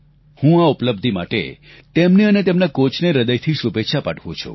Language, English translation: Gujarati, I extend my heartiest congratulations to him and his coach for this victory